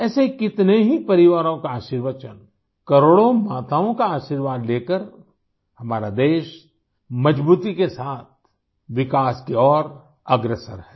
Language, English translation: Hindi, With the blessing of such families, the blessings of crores of mothers, our country is moving towards development with strength